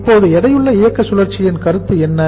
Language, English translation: Tamil, Now what is the concept of weighted operating cycle